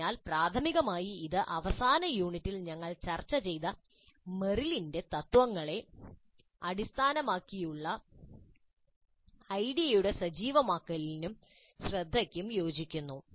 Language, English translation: Malayalam, So primarily this corresponds to the activation and attention of the idea based on Merrill's principles that we discussed in the last unit